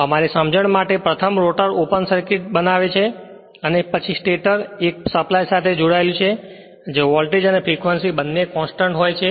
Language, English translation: Gujarati, First for our understanding you assume the rotor is open circuited and it and stator it is connected to a supply where voltage and frequency both are constant right